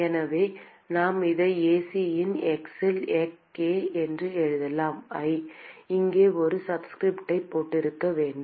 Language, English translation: Tamil, So, we can simply write this as k into Ac of x I should have put a subscript here